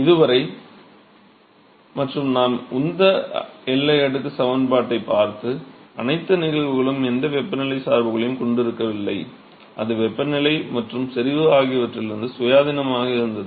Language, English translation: Tamil, So, so far and all the cases that we looked at the momentum boundary layer equation was not did not have any temperature dependence, it was independent of the temperature and concentration